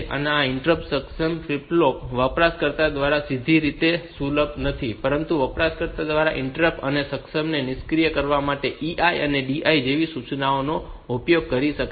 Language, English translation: Gujarati, So, this interrupt enable flip flop is not directly accessible by the user, but the user can use the instruction like EI and DI to enable and disable this interrupt enable and disable the interrupt